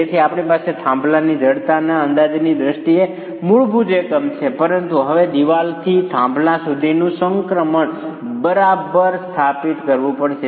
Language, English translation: Gujarati, So, you have the basic unit in terms of estimating the stiffness of a pier but now the transition from a wall to the pier has to be established